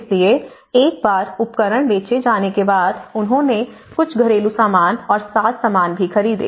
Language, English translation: Hindi, So, once the tools have been sold, they even bought some more household furnishings and fittings